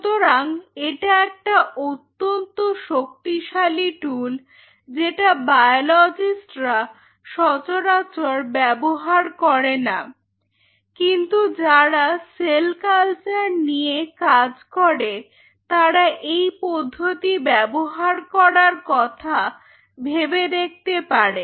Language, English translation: Bengali, So, this is a powerful tool which generally not used by the biologist very frequently, but those who are intensively into cell culture they may like to look at this technique